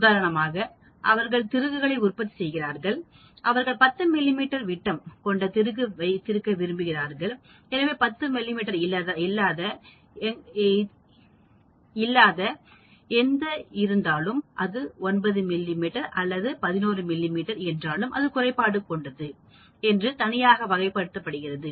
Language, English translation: Tamil, For example, they are manufacturing screws and they would like to have the screw of 10 mm diameter, so any screw that is not 10 mm; if it is 9 mm or if it is 11 mm it is called a defect